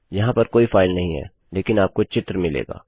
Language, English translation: Hindi, Theres no file specified, but you get the picture